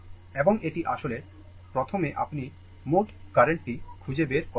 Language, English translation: Bengali, And this is actually first you find out the total current